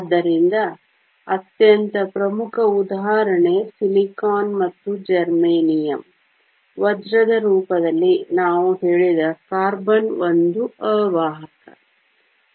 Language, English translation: Kannada, So, most prominent example silicon and germanium; carbon we said in the form of diamond is an insulator